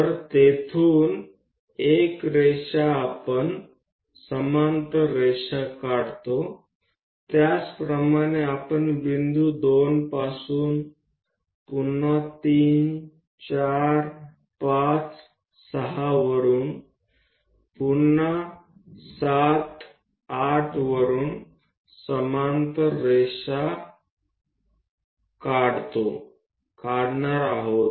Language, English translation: Marathi, So, 1 line from there we draw a parallel line similarly from point 2 we are going to draw a parallel line from 3 4 5 6 again from 7 8 and so on we repeat all the way to this point P